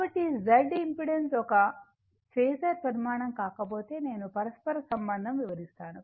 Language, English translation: Telugu, So, if Z impedance is not a phasor quantity, I will come later right